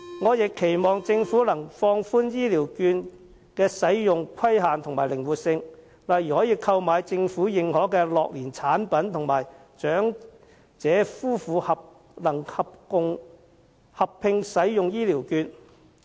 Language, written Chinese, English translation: Cantonese, 我亦期望政府能放寬醫療券的使用規限和增資其靈活性，例如可用於購買政府認可的樂齡產品及能為長者夫婦合併使用。, I also hope that the Government can relax the restrictions on the use of these vouchers and add more flexibility instead allowing for instance the use of these vouchers in purchasing government - recognized gerontechnology products and elderly couples to use the vouchers jointly